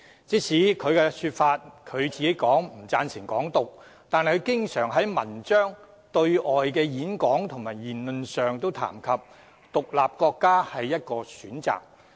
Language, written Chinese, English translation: Cantonese, 雖然他說自己並不贊成"港獨"，但卻經常撰文和在對外演講及言論中提及"獨立國家"是一個選擇。, Although he claimed that he did not approve of Hong Kong independence he often mentioned in his articles and speeches made overseas that an independent state was an option